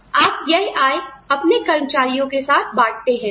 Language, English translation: Hindi, You share those revenues with your employees